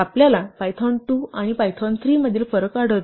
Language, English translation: Marathi, Here, we encounter a difference between Python 2 and Python 3